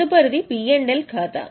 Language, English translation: Telugu, Next is P&L account